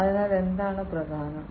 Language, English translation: Malayalam, So, what is important